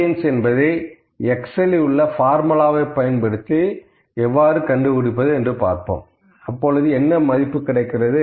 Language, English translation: Tamil, So, what if I will put variance here, what if I just calculate the variance using sum formula in Excel